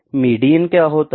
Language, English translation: Hindi, What is median